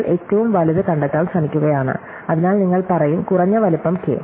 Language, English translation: Malayalam, So, we are trying to find the largest one, so you will say at least size K